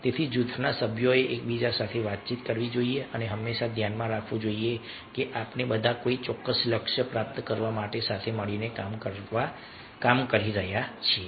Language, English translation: Gujarati, so group members must communicate with each other and also always a keep in mind that we all are working together to achieve some particular goal